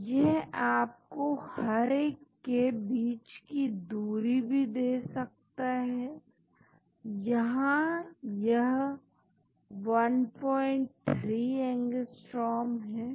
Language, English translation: Hindi, so, it also gives you the distance between each, this is 1